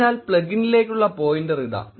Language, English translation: Malayalam, So, here is the pointer to the plugin